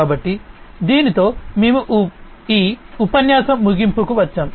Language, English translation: Telugu, So, with this we come to an end of this lecture